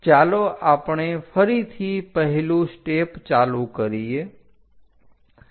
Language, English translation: Gujarati, Let us begin the step once again